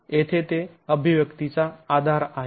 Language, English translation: Marathi, So, that's the basis of the expressions here